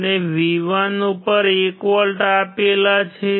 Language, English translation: Gujarati, We applied 1 volt at V1